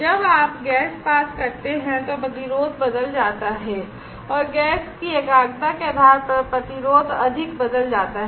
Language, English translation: Hindi, When you pass gas then the resistance changes and depending on the concentration of the gas the resistance changes more